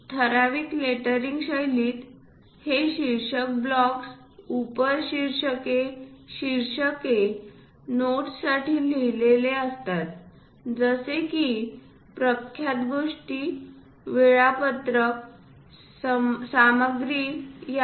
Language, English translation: Marathi, The typical letter in style involves for writing it for title blocks, subtitles, headings, notes such as legends, schedules, material list